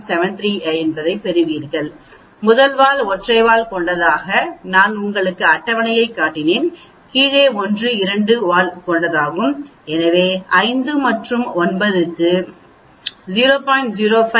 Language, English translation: Tamil, 7377 for 9 degrees of freedom we have from the table, I showed you t table that top one is for single tailed, the bottom one is for two tailed so for 5 and p of 0